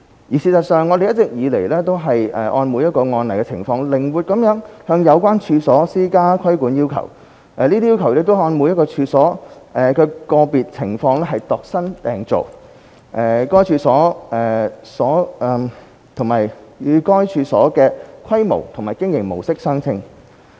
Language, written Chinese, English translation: Cantonese, 而事實上，我們一直以來均按每一個案的情況，靈活地向有關處所施加規管要求，這些要求是按每一處所的個別情況度身訂造，與該處所的規模和經營模式相稱。, As a matter of fact these regulatory requirements have all along been imposed on the subject premises flexibly having regard to the circumstances of each case . These requirements are contextualized and tailor - made for each premises proportionate to the scale and mode of operation of the premises